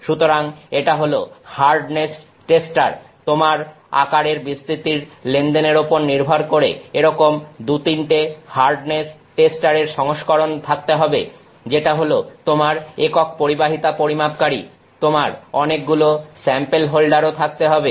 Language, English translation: Bengali, So, its hardness tester you will have like two or three different versions of the hardness tester depending on the size scale you are dealing with is a conductivity measurement unit, you will have again multiple sample holders